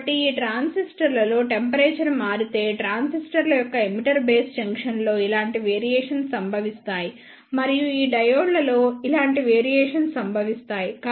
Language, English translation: Telugu, So, in these transistors if the temperature changes then similar variations occurs in the emitter base junction of transistors and the similar variations occurs in these diodes